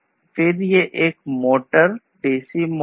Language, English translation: Hindi, Then this is a motor a dc motor